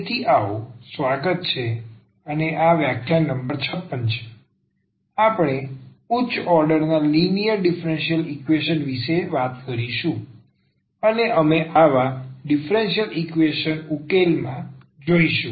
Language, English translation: Gujarati, So, welcome back and this is lecture number 56 we will be talking about linear differential equations of higher order and we will go through the solution of such differential equations